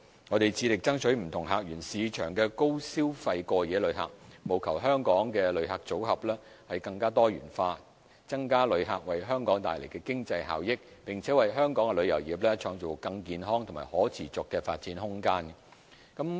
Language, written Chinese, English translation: Cantonese, 我們致力爭取不同客源市場的高消費過夜旅客，務求香港的旅客組合更多元化，增加旅客為香港帶來的經濟效益，並為香港旅遊業創造更健康和可持續的發展空間。, We will strive to attract high - spending overnight visitors from various source markets to Hong Kong with a view to maintaining a diverse visitor portfolio increasing the economic benefits brought by visitors and creating a more healthy and sustainable room for development for Hong Kongs tourism industry